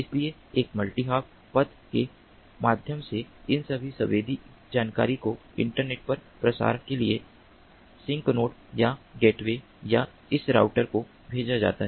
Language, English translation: Hindi, so, through a multi hop path, all these sensed information are sent to the sink node or the gateway or this router for further dissemination to the internet